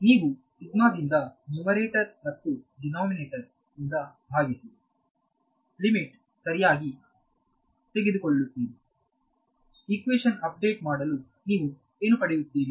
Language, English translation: Kannada, Divide by sigma I mean you will divide the numerator and denominator by sigma and take the limit correct, what will you get update equation